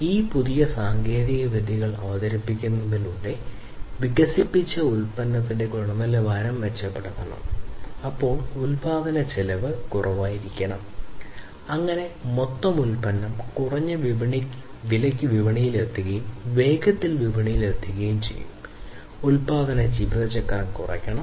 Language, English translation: Malayalam, So, the quality of the product that is developed should be improved with the introduction of these newer technologies, then the cost of the production should be less, so that the overall product comes to the market at a reduced price and comes faster to the market, the production lifecycle should be reduced